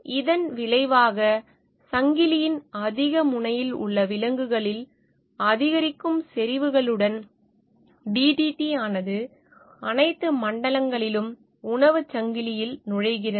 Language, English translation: Tamil, As a result, DDT enters into the food chain at all levels with increasing concentration in animals at a higher end of the chain